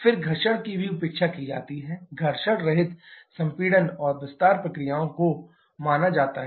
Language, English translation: Hindi, Then friction is also neglected, frictionless compression and expansion processes are assumed